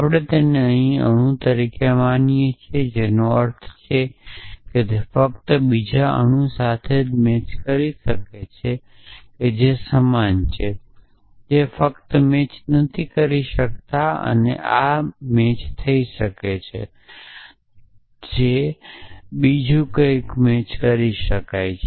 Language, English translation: Gujarati, So, we are just treating it as a atom here which means it can only match a another atom which is same a man not can only match not or can only match or it is only the variables which can match something else